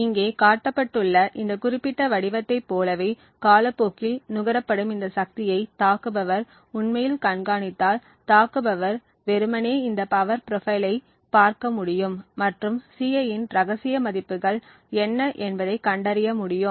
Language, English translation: Tamil, So, if attacker actually monitors this power consumed over time like this particular figure shown here, then attacker would simply be able to look at this power profile and be able to deduce what the secret values of Ci are